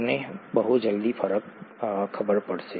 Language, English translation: Gujarati, You will know the difference very soon